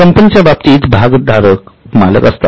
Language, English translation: Marathi, In case of company, the shareholders are the owners